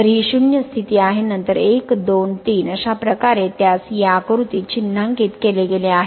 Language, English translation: Marathi, So, some it is a 0 position then 1, 2, 3 this way it has been marked in this figure